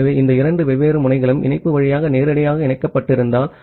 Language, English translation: Tamil, So, if these two different nodes are directly connected via link